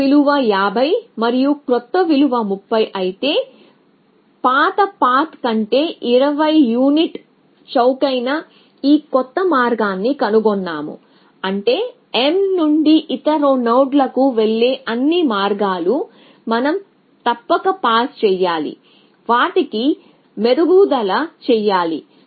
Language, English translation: Telugu, So, if the old value was 50 and the new value was 30, then we have found a new path to this m which is 20 unit cheaper than the old path which means that all path going from m to other nodes we must pass on this improvement to them essentially